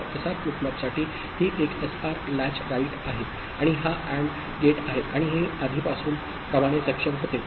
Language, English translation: Marathi, So, in this case for SR flip flop, this is a SR latch right, and this is the AND gate and this was enable as before